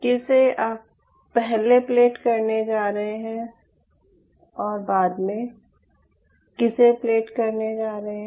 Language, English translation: Hindi, whom are you going to plate earlier and whom are you going to plate later